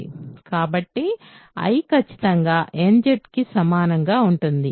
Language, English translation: Telugu, So, I is exactly equal to nZ, as required